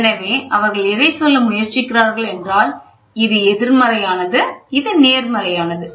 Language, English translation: Tamil, So, what they are trying to say this is; this is negative, this is positive